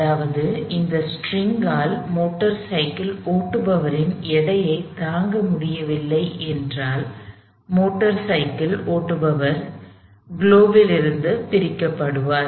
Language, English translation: Tamil, That means, if that string is unable to sustain the weight of the motor cyclist; that motor cyclist is going to detach from the globe